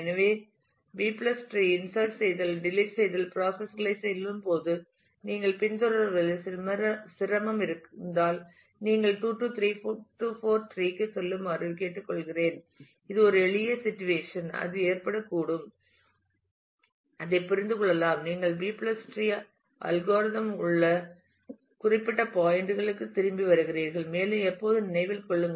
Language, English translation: Tamil, So, while going through the insertion deletion processes of B + tree, if you have difficulty following I would request that you go back to the 2 3 4 tree that is kind the simplest situation that can have that can occur and understand that and then you come back to the specific points in the B + tree algorithm and also always keep in mind